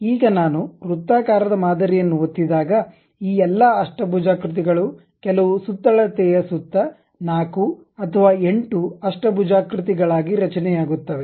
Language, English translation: Kannada, Now, when I click the circular pattern around certain circumference all these octagons will be placed something like whether I would like to have 4 or 8 octagons